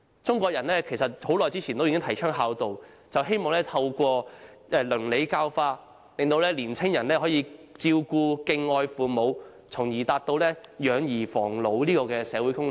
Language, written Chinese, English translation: Cantonese, 中國人很久以前已提倡孝道，就是希望透過倫理教化，令年青人可以照顧和敬愛父母，從而達到養兒防老的社會功能。, Filial piety was promoted by Chinese long time ago hoping that by means of ethical education young people would care for and respect their parents fulfilling the aspired social function of raising children for ones old - age protection